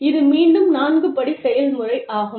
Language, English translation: Tamil, It is again, a four step process, typically